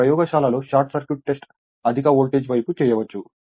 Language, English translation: Telugu, But short circuit test in the laboratory performed on the high voltage side